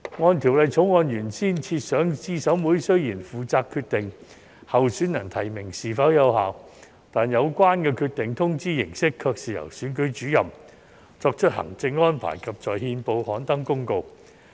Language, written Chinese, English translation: Cantonese, 按《條例草案》原先設想，資審會雖然負責決定候選人提名是否有效，但有關決定的通知形式卻是由選舉主任作出行政安排，以及在憲報刊登公告。, As originally designed under the Bill CERC is responsible for determining the validity of a candidates nomination but the notice of the decision is made by the Returning Officer through administrative arrangement and published in the Gazette